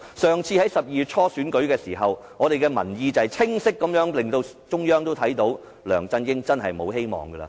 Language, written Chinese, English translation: Cantonese, 上次在12月初選舉時，民意清晰令中央看到，梁振英真無希望了。, In the elections held in early December last year the people clearly showed the Central Authorities that LEUNG Chun - ying was hopeless